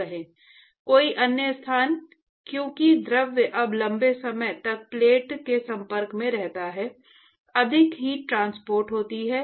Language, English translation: Hindi, Some other location, because the fluid is now exposed to the plate for a longer period of time, more heat would have got transported